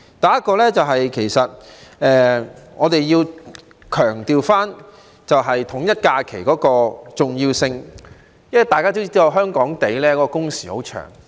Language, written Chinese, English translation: Cantonese, 第一，我們要強調統一假期的重要性，因為大家也知道，香港的工時很長。, First we must stress the importance of aligning the holidays because as Members will know working hours in Hong Kong are very long